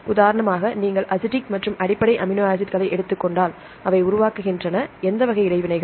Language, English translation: Tamil, For example, if you take the acidic and basic amino acids, they tend to form, which type of interactions